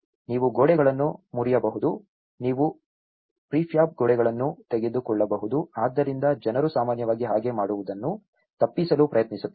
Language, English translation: Kannada, You can break the walls; you can take out the prefab walls, so people generally try to avoid doing that